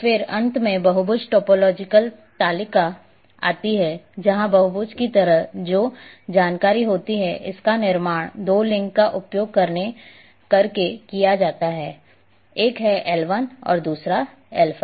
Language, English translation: Hindi, And then finally, comes the polygon topology table where like polygon a which is this one it is having information it is constructed using two links one is L1 and L5